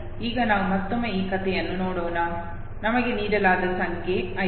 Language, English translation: Kannada, So let us again now look at this story, the number that was given to us was this